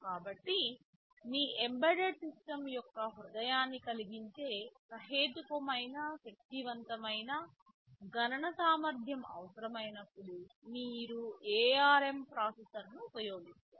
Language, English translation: Telugu, So, you use ARM processor when you need reasonably powerful computation capability that will make the heart of your embedded system right